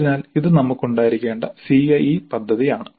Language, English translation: Malayalam, So this is the CAE plan that we must have